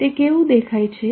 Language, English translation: Gujarati, How does it look like